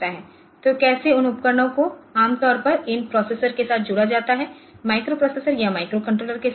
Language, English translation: Hindi, So, how those devices are generally connected with these processors say microprocessor or microcontrollers